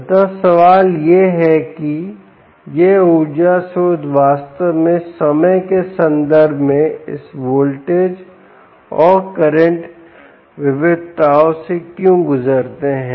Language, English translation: Hindi, and the question is, why do these energy sources actually go through this voltage and current variations in time